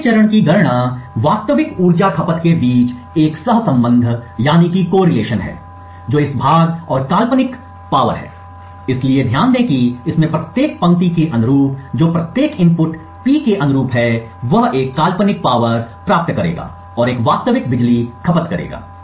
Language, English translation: Hindi, The next step is compute a correlation between the actual power consumed that is this part and the hypothetical power, so note that corresponding to each row in this that is corresponding to each input P he would get one hypothetical power and one real power consumed